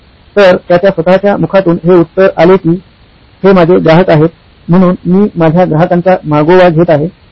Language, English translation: Marathi, So the answer from him, his own mouth: this is my customer, so I am doing, tracking the customer